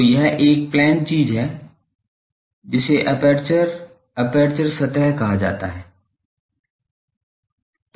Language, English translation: Hindi, So, this is a plane thing this is called aperture, aperture surface